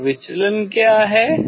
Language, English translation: Hindi, And what is the deviation